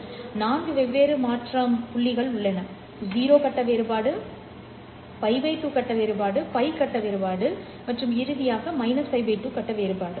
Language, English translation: Tamil, So, if you look at what the differential encoding that I need to do, I have four different transition points, which is 0 phase difference, pi by 2 phase difference, and finally I have minus pi by 2 phase difference